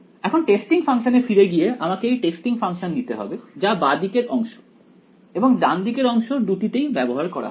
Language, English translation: Bengali, Getting back to the testing function, I have to take the apply this testing to both the left hand side and the right hand side right